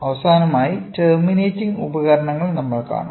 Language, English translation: Malayalam, So, now let us look into terminating devices